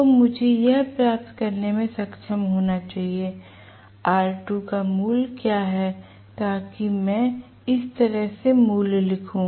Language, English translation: Hindi, So, I should be able to get what is the value of r2 so that so let me write the value like this